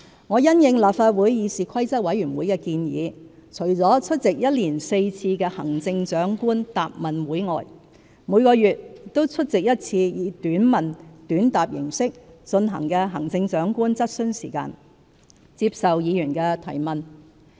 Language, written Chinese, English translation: Cantonese, 我因應立法會議事規則委員會的建議，除出席1年4次的行政長官答問會外，每個月均出席1次以"短問短答"形式進行的行政長官質詢時間，接受議員提問。, Upon the proposal of the Legislative Council Committee on Rules of Procedure I have been attending Chief Executives Question Time on a monthly basis to answer Members questions in a short question short answer format in addition to Chief Executives Question and Answer QA Session held four times a year